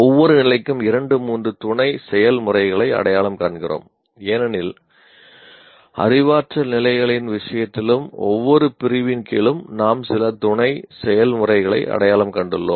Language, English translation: Tamil, We, for each area, each level we are identifying two sub processes as we have seen in the case of cognitive level also under each category we had some sub processes identified